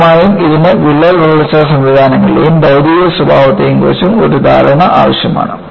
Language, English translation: Malayalam, And obviously, this requires an understanding of crack growth mechanisms and material behaviour